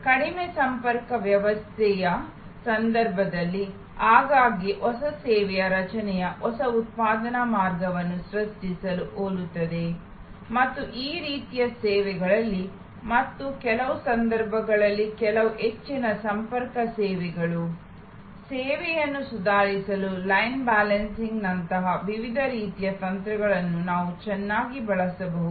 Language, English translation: Kannada, In case of a low contact system, often the creation of a new service is very similar to creation of a new manufacturing line and in this kind of services and even in some cases, some high contact services, we can very well use for improving the service, various kinds of techniques like line balancing and so on